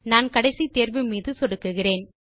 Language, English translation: Tamil, I will click on the last option